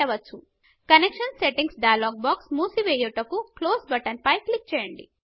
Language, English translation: Telugu, Click on the Close button to close the Connection Settings dialog box